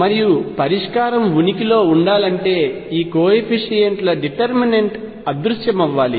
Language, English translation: Telugu, And again for the solution to exist I should have that the determinant of these coefficients must vanish